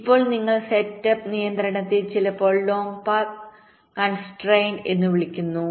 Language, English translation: Malayalam, now, you see, setup constraint is sometimes called long path constraint